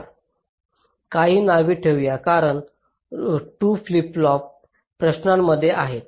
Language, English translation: Marathi, lets see, lets keep some names, because these two flip flops are in question